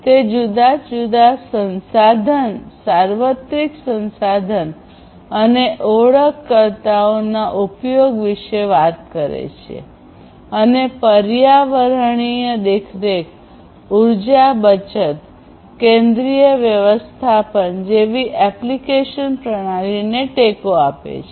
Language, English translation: Gujarati, It talks about the use of resource universal resource identifiers and supports different applications for environmental monitoring, energy saving, central management systems, and so on